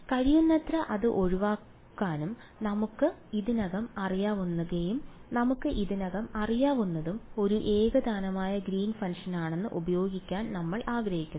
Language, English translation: Malayalam, So, we want to avoid that as much as possible and use what we already know and what we already know is a homogeneous Green’s function